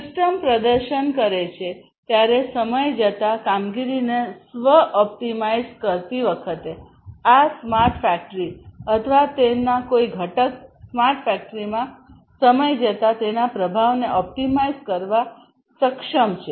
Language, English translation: Gujarati, Self optimizing the performance over time when the system is performing, this smart factory or some component of it in a smart factory is able to optimize its performance over time